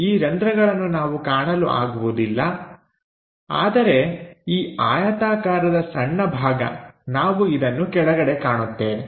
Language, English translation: Kannada, These holes we do not see; but here this rectangular patch, we will see which is at bottom